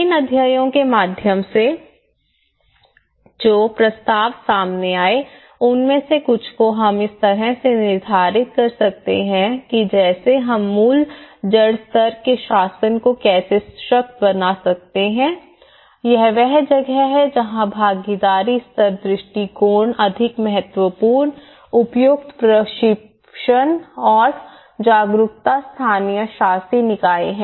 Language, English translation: Hindi, So, gist of some of the recommendations which came out through these studies like how we can empower the glass root level governance this is where the participatory level approaches are more important and also the appropriate training and awareness of local governing bodies